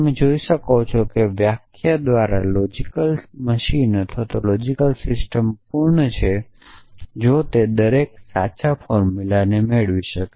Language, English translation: Gujarati, So, you can see that by definition a logic machine or a logic system is complete if it can derive every true formula